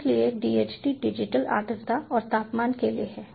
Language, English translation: Hindi, so dht stands for digital humidity and temperature